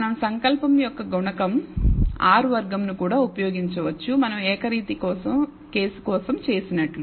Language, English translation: Telugu, We could also use the coefficient of determination, R squared, just as we did for the univariate case